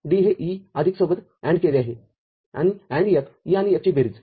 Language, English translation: Marathi, D is ANDed with E plus and F the summation of E and F